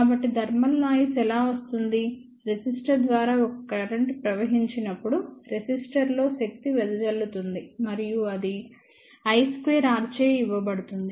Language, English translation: Telugu, So, how thermal noise comes in to picture well when a current flows through the resistor, there will be power dissipation in the resistor and that will be given by i square R